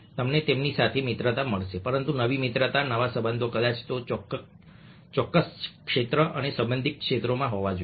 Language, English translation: Gujarati, but new friendships, new relationships probably will have to be in that particular area and related areas